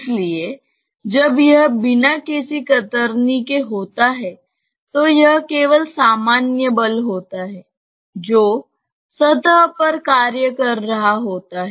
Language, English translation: Hindi, So, when it is without any shear, it is just the normal force which is acting on the surface